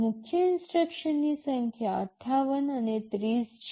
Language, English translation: Gujarati, The number of main instructions are 58 and 30